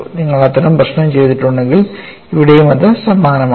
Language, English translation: Malayalam, If you had done that exercise, here also the exercise is similar